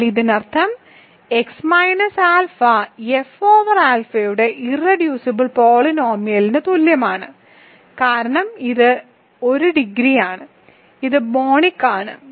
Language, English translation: Malayalam, But this means x minus alpha is equal to the irreducible polynomial of alpha over F because it is degree of 1 it is monic